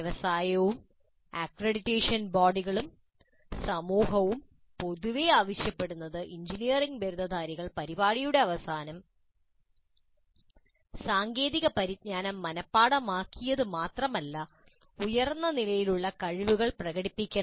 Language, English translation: Malayalam, Industry, accreditation bodies and society in general are demanding that engineering graduates must demonstrate at the end of the program not just memorized technical knowledge but higher order competencies